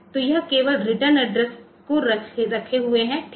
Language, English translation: Hindi, So, this is only holding the return addresses, ok